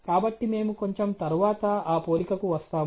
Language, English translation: Telugu, So, will come to that comparison a little bit later